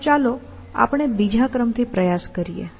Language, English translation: Gujarati, So, let us try the other order